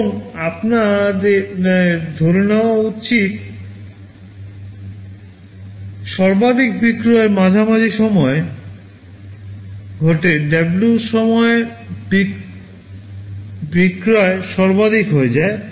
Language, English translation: Bengali, And let us assume that the maximum sale occurs in the middle of it, at point W the sale becomes maximum